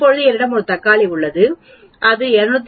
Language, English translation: Tamil, Now I have a tomato which is 250